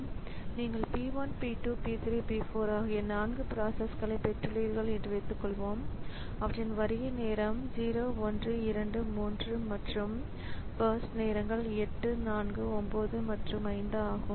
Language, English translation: Tamil, Suppose we have got four processes P1, P2, P4, P4, their arrival times are 0123 and the burst times are 8, 9 and 5